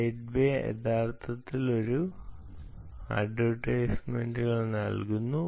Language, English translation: Malayalam, gate way is actually giving these advertisement